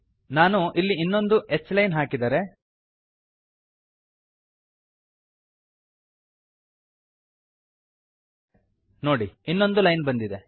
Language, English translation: Kannada, If I put another h line here, see a line has come